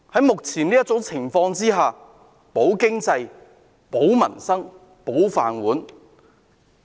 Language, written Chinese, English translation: Cantonese, 目前，我們要"保經濟、保民生、保就業"。, At this moment we must safeguard the economy safeguard livelihoods and safeguard jobs